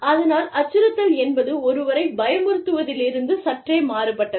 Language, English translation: Tamil, So, to intimidate means, to slightly different than, threatening somebody